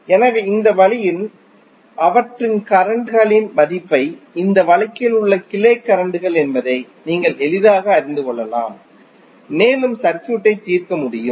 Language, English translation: Tamil, So, in this way you can easily find out the value of currents of those are the branch currents in this case and you can solve the circuit